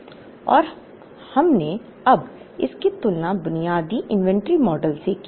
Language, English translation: Hindi, Now, and we compared it with the basic inventory model